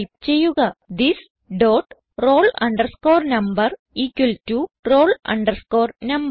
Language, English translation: Malayalam, So type this dot roll number equal to roll number